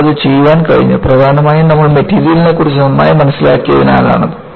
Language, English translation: Malayalam, We have been able to do that, mainly because you have better understanding of material